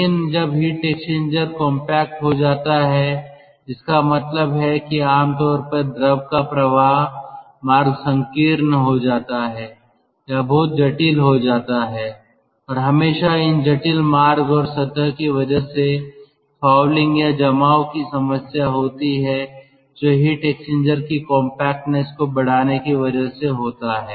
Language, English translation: Hindi, but at the same time, when the heat exchanger becomes compact, that means generally the fluid flow passages becomes narrow or they become very intricate and there is always a [pro/problem] problem of fouling or deposition on these intricate passages and surface features which is used for the compactness of heat exchanger